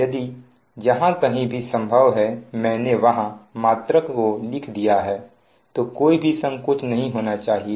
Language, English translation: Hindi, if, wherever possible, i have written the unit, there will be no confusion